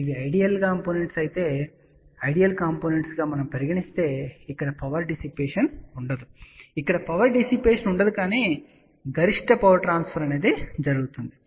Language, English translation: Telugu, If we assume that these are the ideal components, then there will be a no power dissipation here, there will be a no power dissipation here but maximum power transfer has taken place